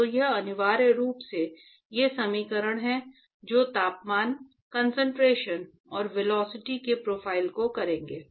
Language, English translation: Hindi, So, that will essentially, these are the equations which will capture the profiles of temperature, concentration and velocity ok